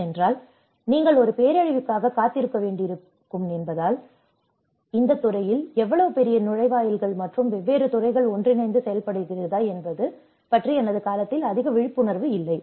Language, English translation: Tamil, And because unless you may have to wait for a disaster because there is not much of awareness during my time whether this field has such a large gateways and different disciplines to work together